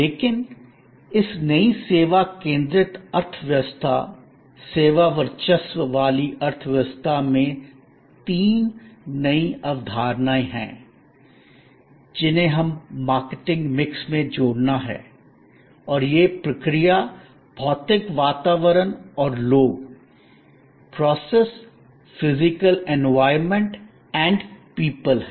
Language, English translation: Hindi, But, in this new service focused economy, service dominated economy, there are three new concepts that we have to add to the marketing mix and these are process, physical environment and people